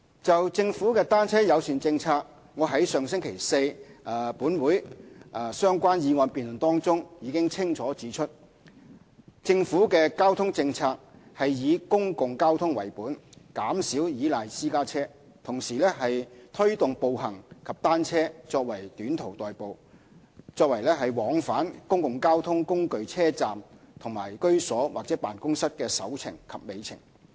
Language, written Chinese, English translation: Cantonese, 就政府的"單車友善"政策，我在上星期四立法會相關議案辯論中已清楚指出，政府的交通政策是以公共交通為本，減少依賴私家車；同時推動步行及單車作短途代步，作為往返公共交通工具車站和居所或辦公室的"首程"及"尾程"。, On the Governments bicycle - friendly policy I have already pointed out clearly in the related motion debate at the Legislative Council last Thursday that the Governments transport policy is based on public transport and aims to reduce reliance on private cars . At the same time we endeavour to promote walking and cycling for short - distance commuting and as first mile and last mile connection between public transport stations and living places or office